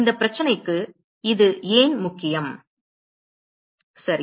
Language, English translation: Tamil, Why is it important for this problem ok